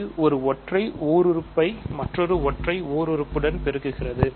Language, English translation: Tamil, So, this is multiplying a single monomial with another single monomial